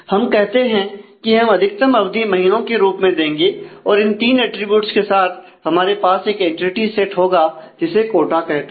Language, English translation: Hindi, So, let us say we will put the maximum duration say in terms of months and with these three attributes we will have an entity set which is quota